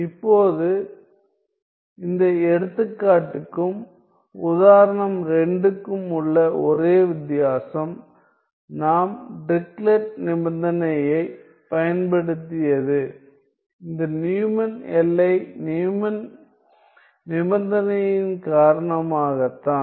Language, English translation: Tamil, Now, the only difference between this example and say example 2 where we were using the Dirichlet condition is due to this boundary condition Neumann